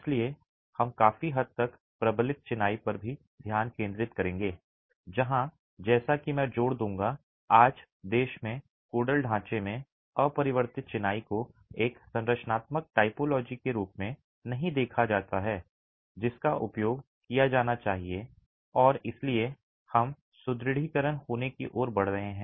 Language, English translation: Hindi, So, we will also be largely focusing on reinforced masonry where as I would emphasize in the Codal framework in the country today, unreinforced masonry is not seen as a structural typology that should be used and therefore we are moving towards having reinforcement in masonry